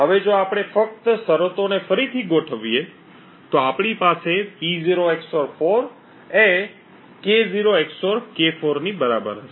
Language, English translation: Gujarati, Now if we just rearrange the terms we have like P0 XOR would be 4 to be equal to K0 XOR K4